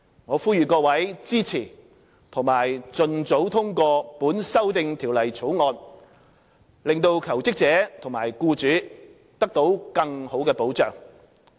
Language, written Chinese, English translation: Cantonese, 我呼籲各位支持及盡早通過《條例草案》，令求職者及僱主得到更好的保障。, I call on Members to support and endorse the Bill as early as possible so that job - seekers and employers can have better protection